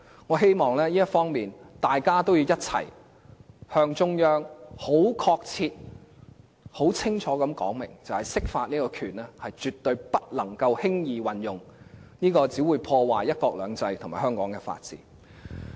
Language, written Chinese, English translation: Cantonese, 我希望在這方面，大家要一起向中央很確切和很清楚地說明，釋法的權力絕對不能輕易運用，因為這樣只會破壞"一國兩制"和香港的法治。, I hope that in this regard everyone must join hands in telling the Central Authorities precisely and clearly that the power to interpret the Basic Law should never be used lightly because using the power that way can only undermine one country two systems and the rule of law in Hong Kong